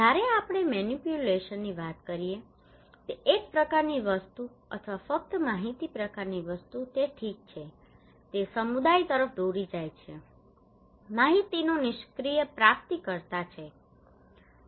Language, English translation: Gujarati, When we are talking about manipulation kind of thing or only informations kind of thing okay it leads to that community is a passive recipient of informations